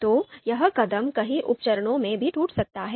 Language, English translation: Hindi, So this step is can also be broken down into a number of sub steps